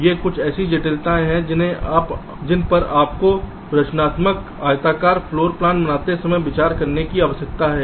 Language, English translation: Hindi, ok, so these are some complexities you need to consider while generating constructive, ah, rectangular floor plans